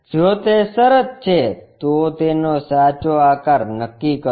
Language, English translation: Gujarati, If that is the case, determine its true shape